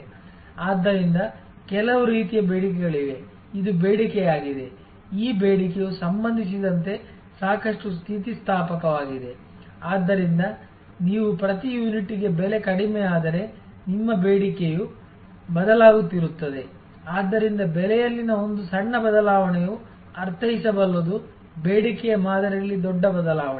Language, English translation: Kannada, So, there are certain types of demand this is the demand, this demand is quite elastic with respect to… So, as you if the price per unit comes down, then your demand will be shifting, so a small change in price can mean a large change in demand pattern